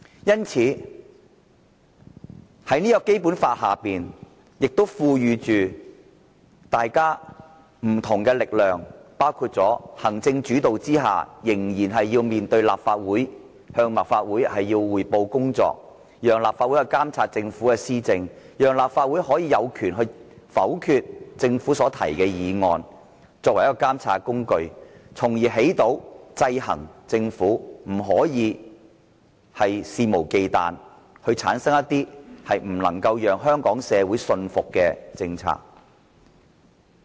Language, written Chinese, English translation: Cantonese, 因此，《基本法》亦賦予大家不同的力量，包括在行政主導下仍然要面對立法會，向立法會匯報工作，讓立法會監察政府的施政，讓立法會有權否決政府提出的議案，作為監察工具，起着制衡政府的效果，令它不可肆無忌憚，推出不能讓香港社會信服的政策。, Hence we are vested with different powers under the Basic Law . Under an executive - led system the Government has to among others face and report to the Legislative Council and let the latter monitor its policies and have the power to vote down government motions . The Legislative Council acts as a monitoring tool to check and balance the Government and prevent it from rolling out policies that are unacceptable to Hong Kong people